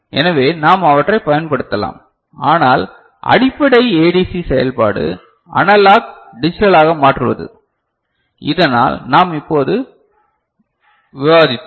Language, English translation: Tamil, So, we can make use of them, but basic ADC operation, the functioning, the conversion of analog to digital, so that we have just discussed